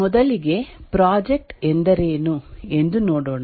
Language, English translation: Kannada, First, let us look at what is a project